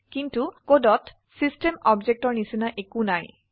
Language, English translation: Assamese, But there is nothing like system object in the code